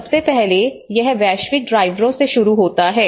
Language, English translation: Hindi, First of all, it starts from the global drivers